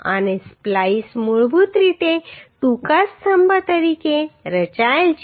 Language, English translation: Gujarati, And splices are basically designed as a short column